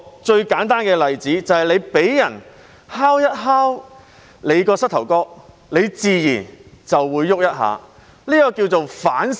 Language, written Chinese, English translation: Cantonese, 最簡單的例子是，你被人敲一下膝蓋，自然便會動一下，這稱為條件反射。, The simplest example is that when your knee is tapped it will naturally jerk . This is called a conditioned reflex [sic]